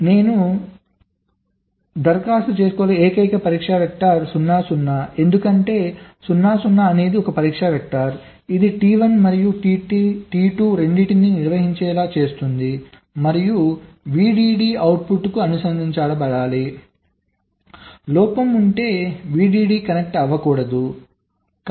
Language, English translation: Telugu, so the only test vector i can apply for that is zero, zero, because zero, zero is a test vector which makes both t one and t two conducting and vdd should be connected to the output, that if there is a fault vdd should not get connected, right